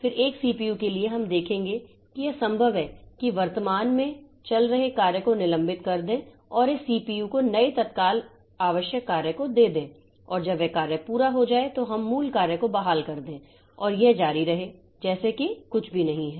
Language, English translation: Hindi, Then for a CPU we will see that it is possible that we suspend the currently running task and give this CPU to the new newly arrived urgent task and when that task finishes we restore the original task and that continues in the as if nothing has happened only some time has passed but as far as the system is concerned nothing has happened